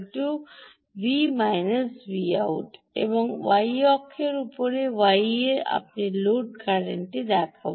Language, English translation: Bengali, and on the x, y, on the y axis, i will show the load current